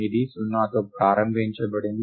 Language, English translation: Telugu, Its initialized to 0